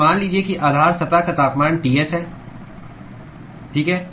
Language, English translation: Hindi, So, supposing if the temperature of the base surface is Ts, okay